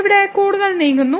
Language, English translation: Malayalam, So, here moving further